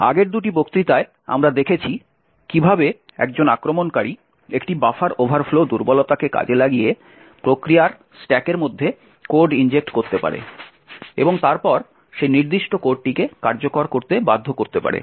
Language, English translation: Bengali, In the previous two lectures what we have seen was how an attacker could inject code in the stack of another process by exploiting a buffer overflow vulnerability and then force that particular code to execute